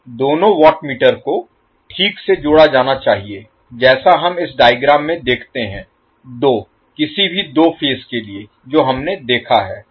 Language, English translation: Hindi, Two watt meters must be properly connected as we see in this figure for two any two phases which we have seen